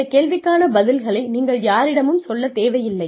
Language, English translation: Tamil, You do not have to share the information with anyone